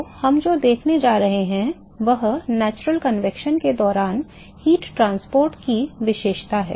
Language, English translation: Hindi, So, what we going to see is characterize heat transport during natural convection